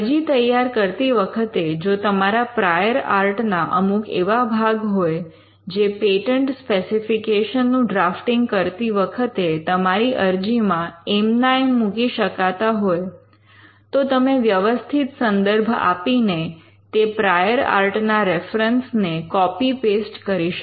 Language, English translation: Gujarati, Now, in preparing an application, if there are portions of the prior art which could be reproduced into your patent application while drafting your patent specification, you could kind of copy and paste those prior art references with proper by giving the proper reference, and that could save quite a lot of time and effort in drafting